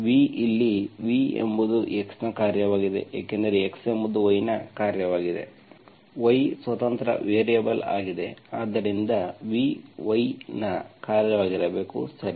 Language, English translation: Kannada, v, where v is a function of x because x is a function of y, y, y is the independent variable, so v should be function of y